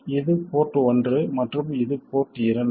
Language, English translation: Tamil, This is port 1 and this is port 2